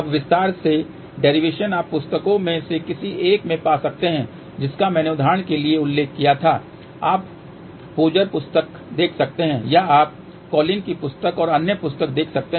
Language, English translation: Hindi, Now, the detail derivation you can find in any one of the books which I had mentioned for example, you can see Pozar book or you can see Collin's book and other book